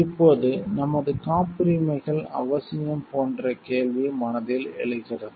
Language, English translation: Tamil, Now it may a question arise in a mind like are patents necessary